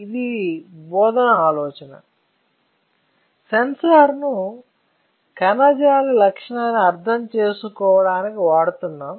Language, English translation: Telugu, So, that is the idea of teaching you, the sensors for understanding tissue property